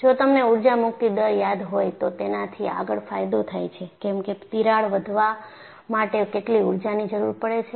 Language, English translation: Gujarati, If you recall in the energy release rate, I said I want to find out, what is the energy required for the crack to grow